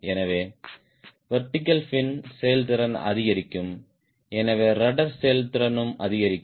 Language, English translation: Tamil, so the vertical fin effectiveness will increase and hence rudder effectiveness also will increase